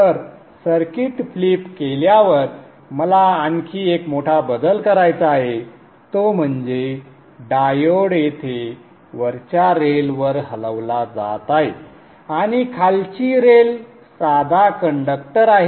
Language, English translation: Marathi, Okay, so after having flipped the circuit, I would like to do one more major change, which is the diode being shifted to the upper, upper rail here and the bottom lane is a plane conductor